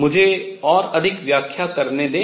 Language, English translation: Hindi, Let me explain further